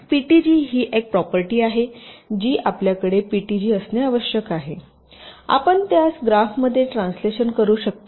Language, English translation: Marathi, so ptg is a property where you which you must have an from ptg you can translate it into this graph